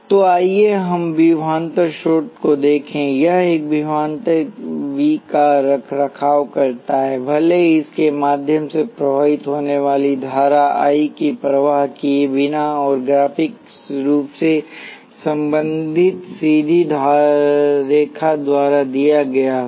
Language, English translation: Hindi, So let us look at voltage source, it maintenance a voltage V regardless of the current I that is flowing through it; and the relationship graphically is given by straight line